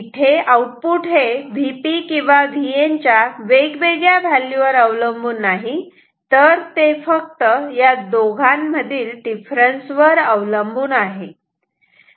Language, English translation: Marathi, It does not depend on the value of V P or V N separately, it depends only on the difference